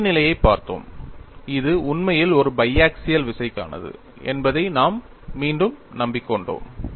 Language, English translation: Tamil, We have looked at the boundary condition,condition; we have re convinced ourselves, that it is actually for a bi axial tension